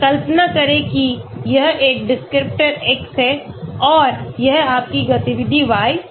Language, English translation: Hindi, Imagine that this is your descriptor x and this is your activity y